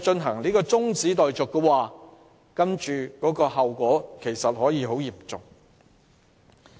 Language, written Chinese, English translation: Cantonese, 由此可見，中止待續議案的後果其實可以很嚴重。, It can therefore be seen that the consequences of adjournment motions could be very serious